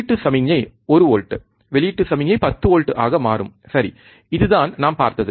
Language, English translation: Tamil, Input signal was 1 volt, output signal will become 10 volts, right, this what we have seen